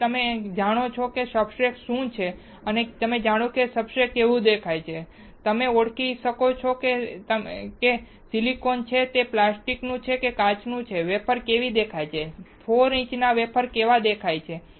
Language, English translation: Gujarati, You now know what is called substrate, you now know how the substrate looks like, you can now identify whether it is silicon or it is plastic or it is glass, how the wafers looks like, how a 4 inch wafer looks like